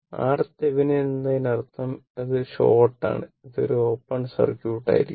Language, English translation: Malayalam, So, R Thevenin means, this is short and this will be open circuit